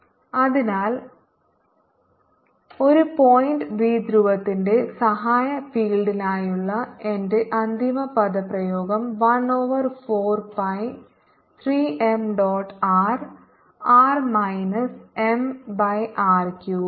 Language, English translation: Malayalam, so my final expression for the auxiliary field of a point dipole is one over four pi three m dot r r minus m by r cube